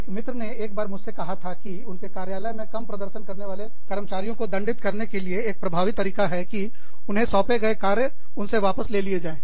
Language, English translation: Hindi, A friend, once told me, that in their office, one very effective way of punishing, low performing employee, was to take away the work, that was given to them